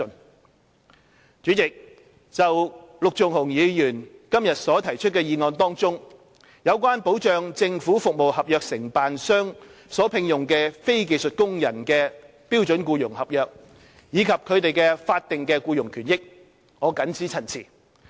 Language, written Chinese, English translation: Cantonese, 代理主席，就陸頌雄議員今天所提出的議案中，有關保障政府服務合約承辦商所聘用的非技術工人的標準僱傭合約，以及他們的法定僱傭權益，我謹此陳辭。, Deputy President regarding the protection mentioned in the motion proposed by Mr LUK Chung - hung today for the SEC of non - skilled workers employed by government service contractors and their statutory entitlements I so submit